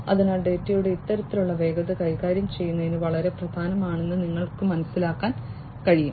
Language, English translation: Malayalam, So, as you can understand that handling this kind of velocity of data is very important